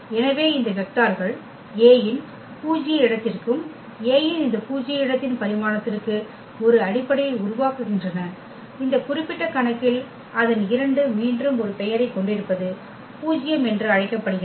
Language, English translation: Tamil, So, these vectors form a basis for the null space of A and the dimension of this null space of A in this particular case its 2 which is again has a name is called nullity